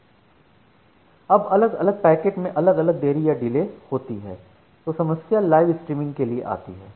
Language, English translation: Hindi, Now, if different packets has different delay then, the problem is comes for the live streaming